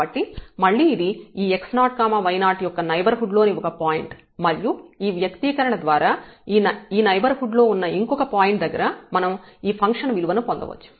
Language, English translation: Telugu, So, again this is a point in the neighborhood of this x 0 y 0 and we can get this function value at this some other point in the neighborhood by the by this expression here